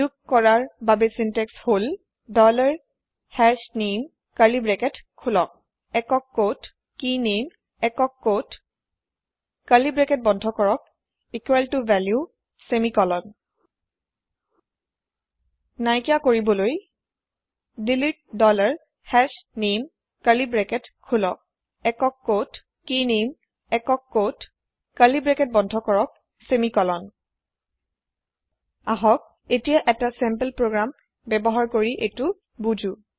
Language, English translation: Assamese, adding key is dollar hashName open curly bracket single quote KeyName single quote close curly bracket equal to $value semicolon deleting key is delete dollar hashName open curly bracket single quote KeyName single quote close curly bracket semicolon Now, let us understand this using a sample program